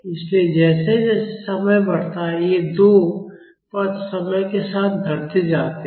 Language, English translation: Hindi, So, as time increases this these 2 terms decrease with time